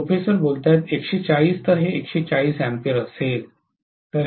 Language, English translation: Marathi, 140, so this is going to be 140 amperes